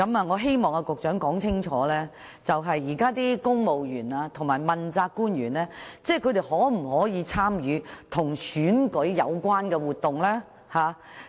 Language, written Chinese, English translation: Cantonese, 我希望局長說清楚，現時公務員和問責官員可否參與跟選舉有關的活動？, I hope the Secretary can clarify if civil servants and accountability officials can take part in any election - related activities at present?